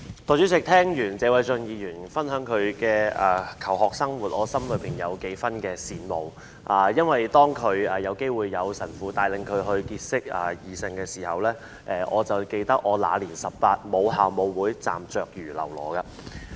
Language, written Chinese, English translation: Cantonese, 代理主席，聽完謝偉俊議員分享他的求學生活，我心裏有一點羨慕，因為當他有機會由神父帶領結識異性時，我記得我"那年十八，母校舞會，站着如嘍囉"。, Deputy President after listening to the school life of Mr Paul TSE I am a bit envy because when he could follow his school priests to proms to meet girls all I remember is that when I was 18 I stood in my alma maters prom like a fool